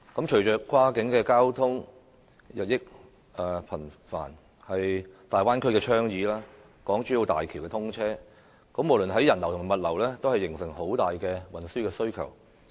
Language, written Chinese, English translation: Cantonese, 隨着跨境交通日益頻繁，例如粵港澳大灣區的倡議及港珠澳大橋的通車，無論在人流或物流方面，均會形成龐大的運輸需求。, The increase in cross - boundary transport such as due to the Bay Area initiative and the commissioning of HZMB will generate a heavy transport needs both in terms of travellers and cargoes